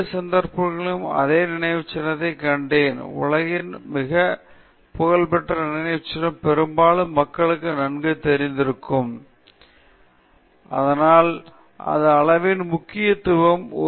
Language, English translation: Tamil, In both cases, you saw the same monument a world famous monument that most people would be familiar with, but because we have a sense of scale, we are able to identify what we are talking about, and so that highlights the importance of scale